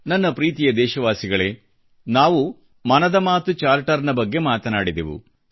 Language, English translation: Kannada, My dear countrymen, we touched upon the Mann Ki Baat Charter